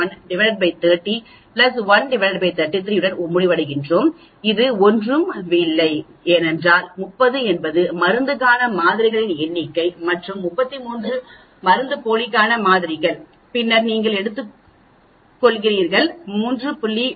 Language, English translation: Tamil, 1 by 30 plus 1 by 33 that is nothing but this ok because, 30 is the number of samples for the drug and 33 is the samples for placebo, then you are taking the square root that comes to 3